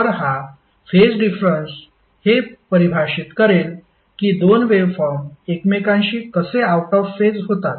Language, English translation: Marathi, So this phase difference will define that how two waveforms are out of phase with each other